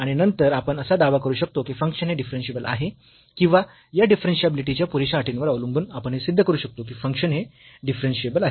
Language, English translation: Marathi, And, then we can claim that the function is basically differentiable or we can prove that this function is differentiable based on these sufficient conditions of differentiability